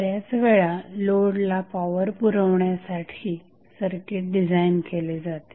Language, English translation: Marathi, So, in many situation the circuit is designed to provide the power to the load